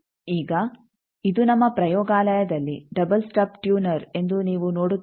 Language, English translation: Kannada, Now, you see how this is a double stub tuner in our lab